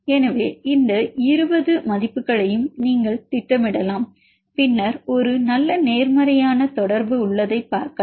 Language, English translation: Tamil, So, you can plot all these 20 values and then if you see there is a good positive correlation